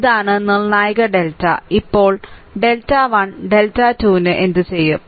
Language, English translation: Malayalam, This is the determinant delta, now for delta 1 delta 2 delta 3 what you will do, right